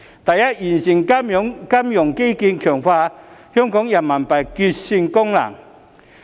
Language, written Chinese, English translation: Cantonese, 第一，完善金融基建，強化香港人民幣結算功能。, First of all the financial infrastructure should be improved to strengthen the RMB settlement function of Hong Kong